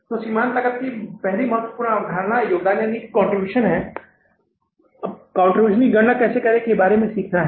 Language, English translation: Hindi, So, first important concept of the merchant costing is the contribution or learning about how to calculate the contribution